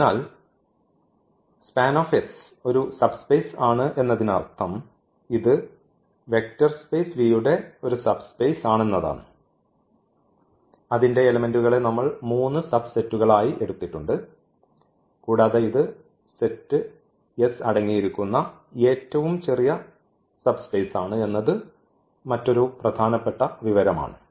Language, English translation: Malayalam, So, this is span S is the subspace meaning this a vector space of this V the subspace of V whose elements we have taken as three subsets and this is the smallest another important information that this is the smallest subspace which contains this set S